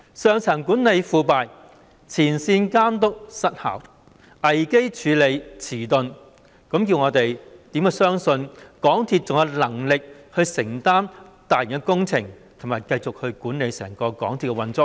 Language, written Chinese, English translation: Cantonese, 上層管理腐敗，前線監督失效，危機處理遲鈍，教我們如何相信港鐵公司還有能力承擔大型工程，以及繼續管理整個港鐵的運作呢？, Have they also crossed the line? . Given its corrupt senior management ineffective frontline supervision and slow response to crises how can we believe that MTRCL is able to undertake mega projects and continue managing its entire operation?